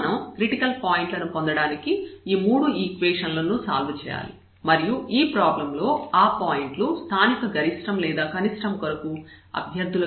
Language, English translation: Telugu, So now, we have to solve these 3 equations to get the points to get the critical points and those points will be the candidates for the local for the maximum or the minimum of the problem